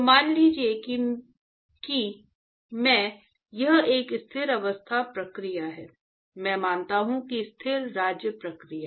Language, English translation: Hindi, So, suppose I assume that it is a steady state process, I assume that the Steady state process